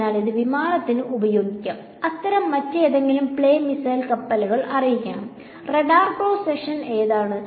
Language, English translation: Malayalam, So, this can be used for aircraft, ships any other such play missiles where it is needed to know: what is the radar cross section